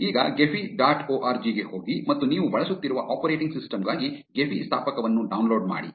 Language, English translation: Kannada, Now, go to Gephi dot org and download the Gephi installer for the operating system you are using